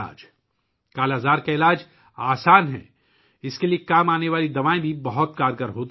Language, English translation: Urdu, The treatment of 'Kala Azar' is easy; the medicines used for this are also very effective